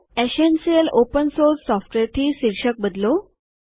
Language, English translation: Gujarati, Change the title to Essential Open Source Software